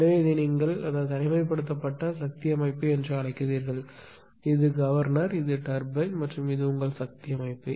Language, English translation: Tamil, So, this is actually your what you call that isolated power system; this is governor, this is turbine and this is your power system